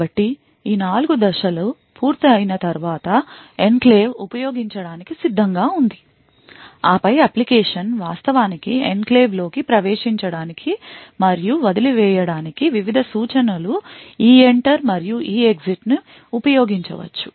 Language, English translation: Telugu, So, after these 4 steps are done the enclave is ready to use and then the application could actually use various instruction EENTER and EEXIT to enter and leave the enclave